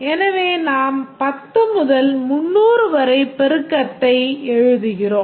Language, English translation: Tamil, So, we write the multiplicity 10 to 300